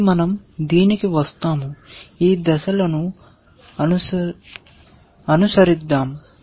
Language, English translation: Telugu, So, we will come to this so, let us follow these steps